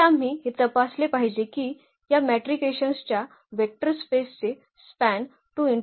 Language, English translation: Marathi, The second we have to check that they span the vector space of this matrices 2 by 3